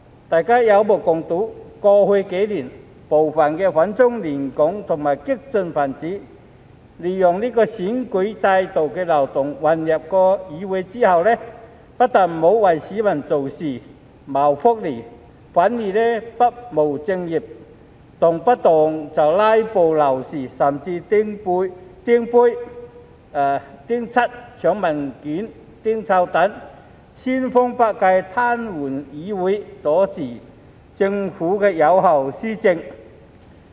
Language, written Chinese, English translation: Cantonese, 大家有目共睹，過去幾年，部分反中亂港和激進分子利用選舉制度的漏洞混入議會後，不但沒有為市民做事、謀福利，反而不務正業，動輒"拉布"鬧事，甚至擲杯、潑漆油、搶文件、擲臭彈，千方百計癱瘓議會，阻止政府有效施政。, It is obvious to all that in the past few years some anti - China disruptors and radicals have exploited the loopholes in the electoral system to infiltrate the legislature and instead of working for the people and their well - being they have not discharged their proper duties but readily staged filibusters even throwing cups splashing paint snatching documents and throwing stink bombs to paralyse the legislature and prevent the Government from effective administration by every possible means